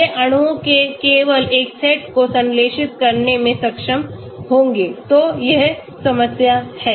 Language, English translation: Hindi, They will be able to synthesize only one set of molecules so that is the problem